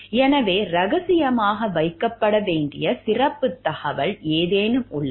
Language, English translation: Tamil, So, are there any special type of information which needs to be kept confidential